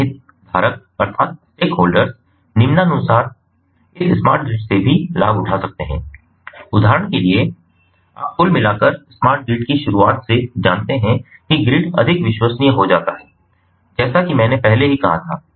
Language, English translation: Hindi, other stake holders can also benefit from this smart grid, as follows, for example, ah you know, overall, by the introduction of the smart grid, the grid becomes more reliable, as i already said before, the possibilities of blackouts and brown outs